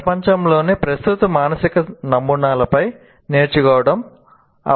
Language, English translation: Telugu, Learning needs to build on existing mental models of the world